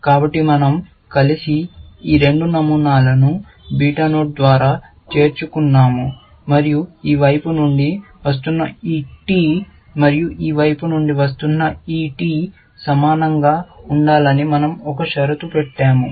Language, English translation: Telugu, So, we joined together, these two patterns by a beta node, and we put a condition that this t, which is coming from this side, and this t, which is coming from this side, equal to